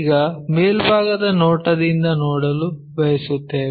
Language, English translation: Kannada, Now, we want to look at from the top view